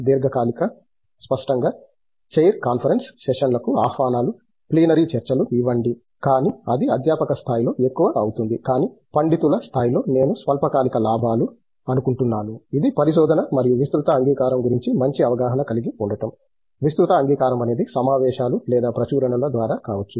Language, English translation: Telugu, Long term; obviously, would be invitations to chair conference sessions, give plenary talks, but that would be more at a faculty level, but at a scholar level I think the short terms gains, which is to get hold of a good understanding of the research and wide acceptance, wide acceptance could be through conferences or publications